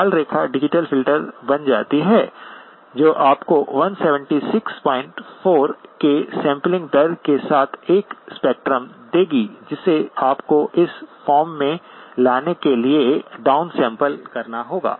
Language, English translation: Hindi, The red line becomes the digital filter that will give you a spectrum with a sampling rate of 176 point 4 which you then have to down sample to bring it to this form